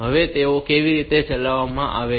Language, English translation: Gujarati, Now, how they are executed